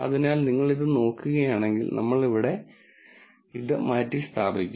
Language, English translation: Malayalam, So, if you look at this then, we will substitute this here